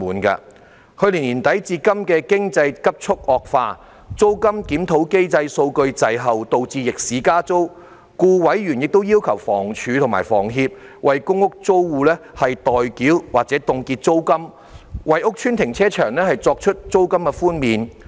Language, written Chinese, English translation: Cantonese, 自去年年底至今，經濟急速惡化，租金檢討機制數據滯後，導致逆市加租，故委員亦要求房屋署和房協為公屋租戶代繳或凍結租金，為屋邨停車場作出租金寬免。, In view of the rapidly deteriorating economic condition since last year end and the data time lag of the rent review mechanism which resulted in rent increases being imposed against the market trend members requested the Housing Department and HS to pay rents for or freeze rents of PRH tenants and to offer rent concessions to carpark tenants of PRH estates